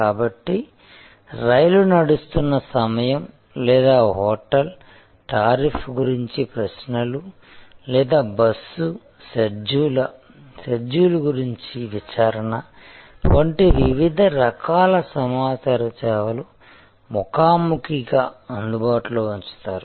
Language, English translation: Telugu, So, different kinds of information services earlier have been delivered face to face, like the train running time or query about a hotel tariff or enquiry about bus schedule and so on and then maybe they were available over telephone